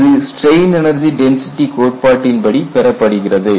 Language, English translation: Tamil, This is given by strain energy density criterion